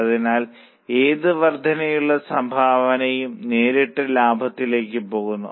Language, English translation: Malayalam, So, any incremental contribution directly goes to profit